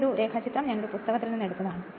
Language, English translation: Malayalam, This diagram I have taken from a book right